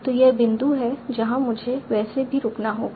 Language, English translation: Hindi, So that is the point I will have to stop anyway